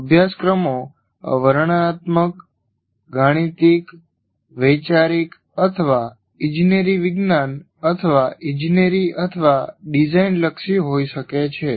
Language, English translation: Gujarati, For example, courses can be descriptive, mathematical, conceptual or engineering science or engineering or design oriented